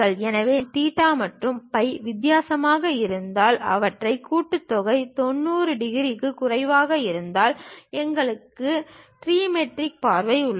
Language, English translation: Tamil, So, if we are having theta and phi different and their summation is less than 90 degrees, we have trimetric view